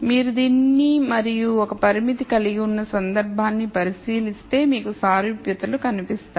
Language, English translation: Telugu, So, if you look at this and the one constraint case you will see the similarities